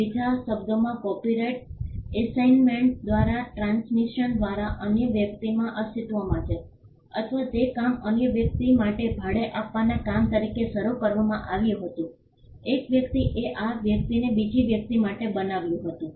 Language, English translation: Gujarati, In the in other words the copyright exists in another person by transmission by assignment or the work was commissioned for another person as a work for hire, a person created this for another person